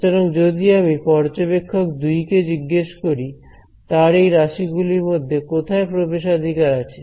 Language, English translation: Bengali, So, when I look at if I ask observer 2 observer 2 has access to which of these quantities